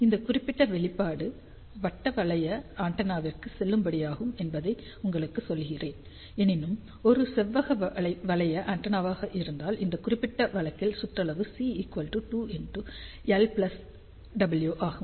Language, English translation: Tamil, ah I just to tell you this particular expression is valid for circular loop antenna; however, if it is a rectangular loop antenna, in that particular case circumference will be equal to 2 times l plus w